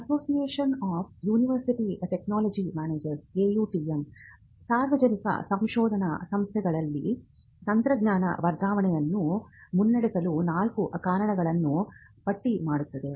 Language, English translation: Kannada, Now, the Association of University Technology Managers – AUTM, lists out four reasons for public research organizations to advance technology transfer